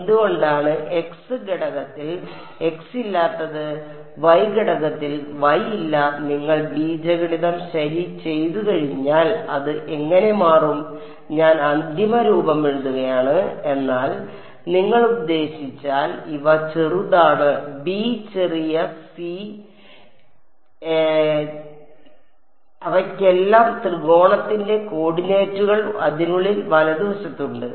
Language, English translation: Malayalam, Why is there no x in the x component and no y in the y component that is just how it turns out once you do the algebra ok, I am writing down the final form, but if you I mean these a i’s small a small b small c they all have the cord coordinates of the triangle inside it right